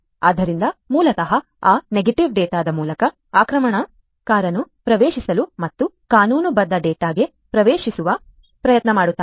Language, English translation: Kannada, So, basically through this those negative data, basically the attacker tries to get in and get access to the legitimate data